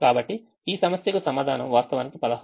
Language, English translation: Telugu, ah, the answer is actually sixteen